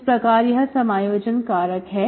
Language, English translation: Hindi, So this is my integrating factor